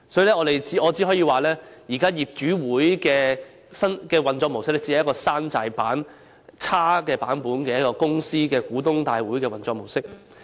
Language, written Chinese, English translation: Cantonese, 因此，我只可說現時業主大會的運作模式只是一種"山寨版"公司股東大會的差劣運作模式。, Hence I can only say that the conduct of general meetings currently is so terrible that it can only be regarded as an inferior copy of shareholders general meetings